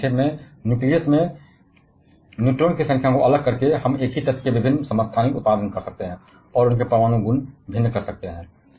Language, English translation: Hindi, So, in an nutshell by varying the number of neutron in the nucleus, we can produce different isotopes of the same element, and can vary their nuclear properties